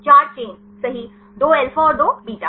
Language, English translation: Hindi, Four chains right 2 alpha and 2 beta